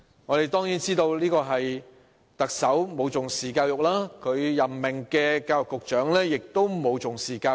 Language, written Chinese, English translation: Cantonese, 我們當然知道，這是因為特首和他任命的教育局局長均沒有重視教育。, We certainly know that this is because neither the Chief Executive nor the Secretary for Education appointed by him has attached importance to education